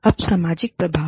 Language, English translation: Hindi, Now, the social effects